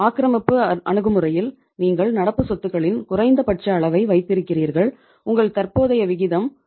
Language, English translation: Tamil, Aggressive approach, you are keeping the minimum level of current assets and your current ratio is that is the 0